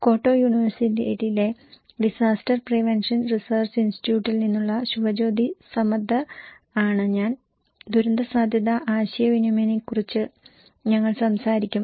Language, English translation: Malayalam, I am Subhajyoti Samaddar from Disaster Prevention Research Institute, Kyoto University and we will talk about disaster risk communications